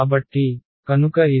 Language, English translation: Telugu, So, what I have done